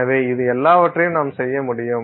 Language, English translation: Tamil, So, all these things you can do